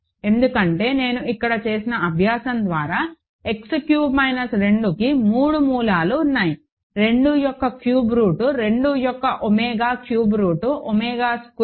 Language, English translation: Telugu, Because, X cube minus 2 by the exercise that I did here X cube minus 2 has 3 roots; cube root of 2 cube root of 2 omega cube root of 2 omega squared